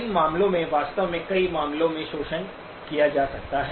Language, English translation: Hindi, These artefacts actually in many cases can be exploited